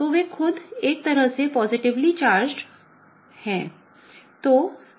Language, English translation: Hindi, So, they themselves are kind of positively charged